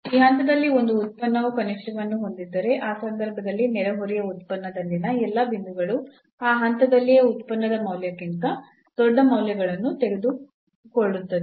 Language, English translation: Kannada, So, if a function has a minimum at this point in that case all the points in the neighborhood function will take larger values than the point itself, then the value of the function at that point itself